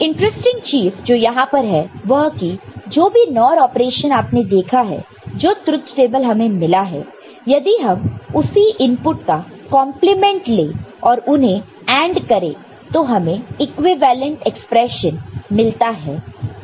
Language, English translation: Hindi, Now, one thing is interesting over here is that whatever NOR operation you have seen that kind of truth table that you have got if you have the same inputs complemented and then AND it alright, we get an equivalent representation